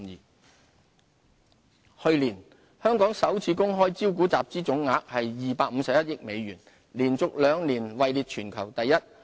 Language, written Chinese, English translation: Cantonese, 上市平台去年，香港首次公開招股集資總額為251億美元，連續兩年位列全球第一。, Last year for the second year in a row Hong Kong ranked first globally in terms of funds raised through initial public offerings IPO . The funds so raised amounted to US25.1 billion